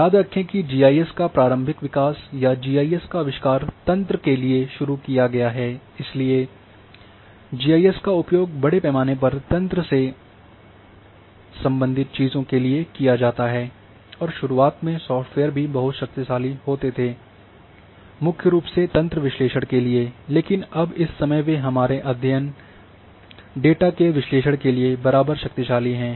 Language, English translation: Hindi, Remember that initial the development of GIS or invention of GIS is started for network therefore, and GIS is extensively used till today for network related things and initially the software where also very powerful mainly for network analysis, but now the same time they are also having you know equal strength for our study data analysis